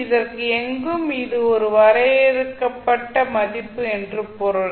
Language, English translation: Tamil, So it means that anywhere it is a finite value